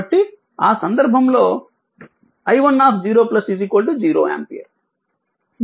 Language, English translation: Telugu, So, in that case i 1 0 plus is equal to 0 ampere